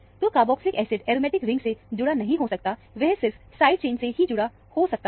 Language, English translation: Hindi, So, the carboxylic acid cannot be attached to the aromatic ring; it can only be attached to the side chain